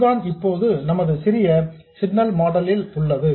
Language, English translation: Tamil, This is all we have in our small signal model now